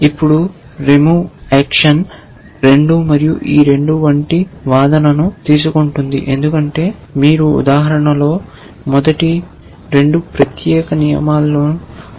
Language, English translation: Telugu, Now, a remove action takes an argument like 2 and this 2 as you will see in the example the first 2, the second pattern in that particular rule